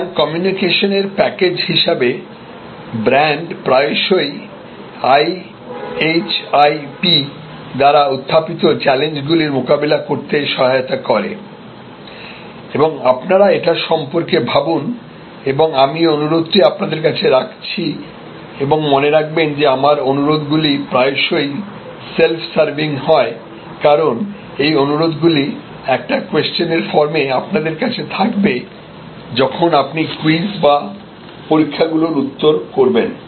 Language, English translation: Bengali, So, brand as a package of communication often help us to respond to the challenges thrown up by IHIP and you think about it I leave this request with you and remember, that my requests are often self serving, because these requests may appear in the form of certain questions when you respond your quiz or examinations